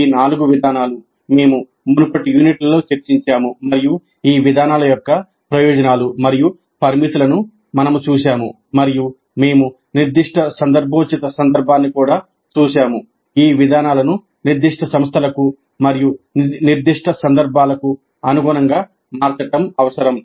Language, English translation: Telugu, All these four approaches we have discussed in the earlier units and we saw the advantages and limitations of these approaches and we also looked at the specific situational context which will necessiate adapting these approaches to specific institutes and specific contexts